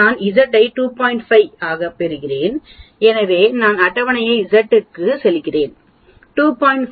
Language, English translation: Tamil, 5, so I go to table z is 2